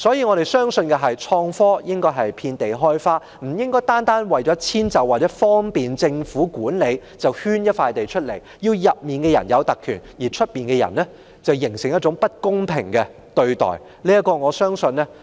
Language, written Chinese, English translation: Cantonese, 我們相信創科應該遍地開花，不應單純為了遷就和方便政府管理，就圈出一塊土地，讓裏面的人有特權，外面的人遭受不公平對待。, We believe that IT should mushroom everywhere . We should not designate a site such that people inside will enjoy privileges and people outside will be subjected to unfair treatment simply for the sake of easy and convenient management by the Government